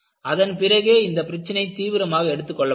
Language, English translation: Tamil, Then the problem was taken up seriously